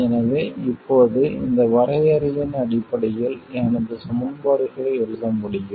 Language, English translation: Tamil, So, now I can write my equations in terms of these definitions